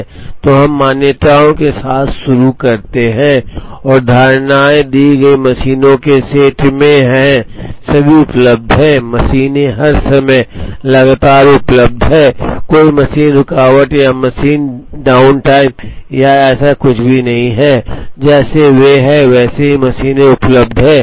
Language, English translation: Hindi, So, we start with the assumptions and these assumptions are in a given set of machines are all available, machines are available continuously all the time, there is no machine interruption or machine down time or anything like that, machines are available as they are